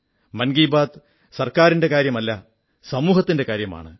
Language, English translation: Malayalam, Mann Ki Baat is not about the Government it is about the society